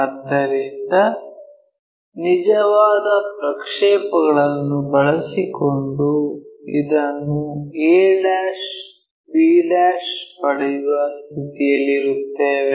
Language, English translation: Kannada, So, using true projections we will be in a position to get this a' b'